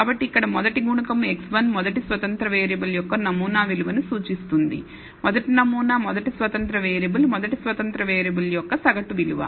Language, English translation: Telugu, So, the first coefficient here will be x 11 represents the sample value of the first independent variable, first sample first independent variable, minus the mean value of the first independent variable